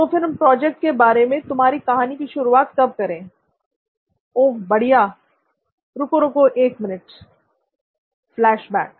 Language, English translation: Hindi, Okay, when to start with your story on what the project is about, oh excellent wait wait wait a minute, wait a minute, FLASHBACK